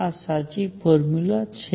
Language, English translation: Gujarati, This is the correct formula